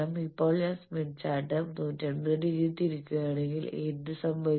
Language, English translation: Malayalam, Now, what happens if I rotate the smith chart by 180 degree